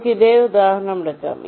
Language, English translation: Malayalam, lets take this same example